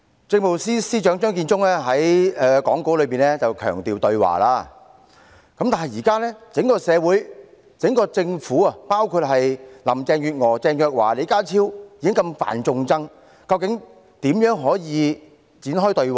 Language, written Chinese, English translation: Cantonese, 政務司司長張建宗在講稿裏強調對話，但現時整個政府，包括林鄭月娥、鄭若驊和李家超已經如此犯眾怒，究竟可如何展開對話？, Chief Secretary for Administration Matthew CHEUNG emphasized the importance of dialogue in his speech but how can any dialogue commence when the entire Government including Carrie LAM Teresa CHENG and John LEE incites so much public anger?